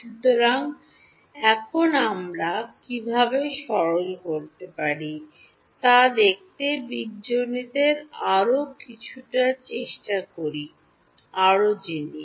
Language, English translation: Bengali, So, now, let us try a little bit more of algebra to see how we can simplify things further